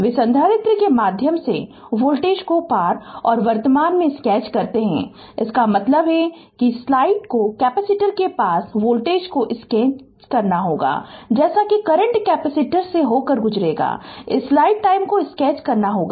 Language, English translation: Hindi, Those sketch the voltage across and current through the capacitor; that means, you have to sketch the voltage across the capacitor as soon as current passing through the capacitor this you have to sketch right